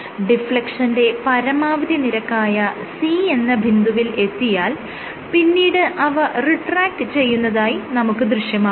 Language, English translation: Malayalam, So, after, so it reaches this maximum point of deflection C and then it retracts right